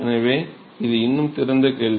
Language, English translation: Tamil, So, it is still an open question